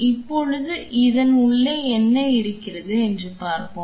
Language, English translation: Tamil, Now let us see what is inside this